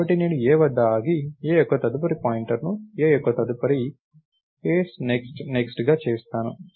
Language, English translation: Telugu, So, I stop at a, and make a’s next pointer as a’s next to next, right